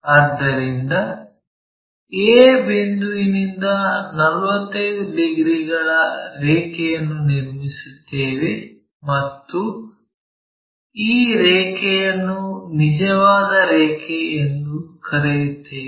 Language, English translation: Kannada, So, from point a draw a line of 45 degrees, this one 45 degrees and let us call this line as true line